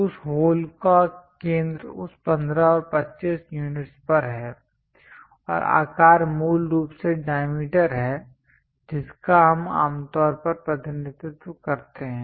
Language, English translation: Hindi, The center of that hole is at that 15 and 25 units and the size basically diameter we usually represent